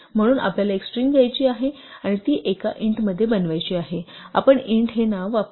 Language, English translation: Marathi, So, we want to take a string and make it into an int, we use the name int